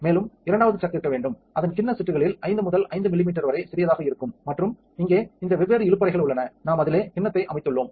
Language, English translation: Tamil, And there should be a second chuck which is even smaller that is only like 5 by 5 millimeters into the bowl sets and these different drawers down here, we have the bowl set itself